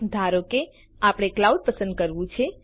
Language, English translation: Gujarati, Lets say, we want to select the cloud